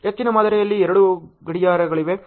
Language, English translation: Kannada, There are two clocks in most of the models